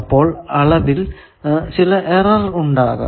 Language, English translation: Malayalam, So, there is some error in the measurement